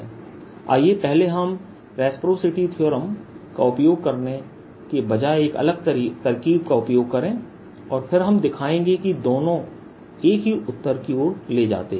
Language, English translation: Hindi, let's just first use a different trick, rather than we using reciprocity's theorem, and then we'll show that the two lead to the same answer